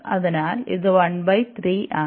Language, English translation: Malayalam, So, here it will be 1